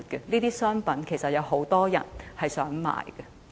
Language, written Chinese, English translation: Cantonese, 這些商品其實有很多人希望購買。, Many people actually want to buy these goods